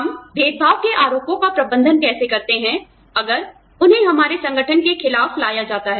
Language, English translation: Hindi, How do we manage discrimination charges, if they are brought against, our organization